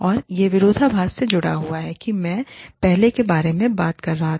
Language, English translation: Hindi, And, this is linked to the paradoxes, that i was talking about, earlier